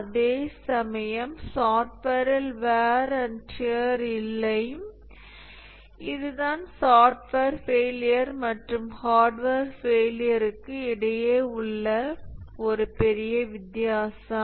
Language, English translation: Tamil, Whereas in software there is no warrantier, this is one major difference between software failures and hardware failures